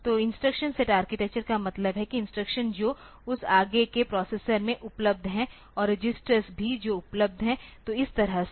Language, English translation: Hindi, So, instruction set architecture means the instructions that are available in that further processor and also the registers that are available so, like that